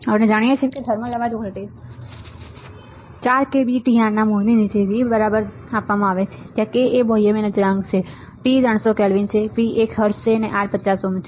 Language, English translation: Gujarati, We know that the thermal noise voltage is given by V equals to under root of 4 k B T R, where k is bohemian constant, T is 300 Kelvin, B is 1 hertz, R is 50 ohm ohms right